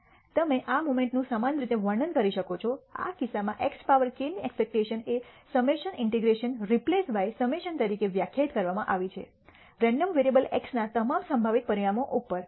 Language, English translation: Gujarati, You can similarly describe this moment; in this case expectation of x power k is defined as summation integrations replaced by summation over all possible outcomes of the random variable x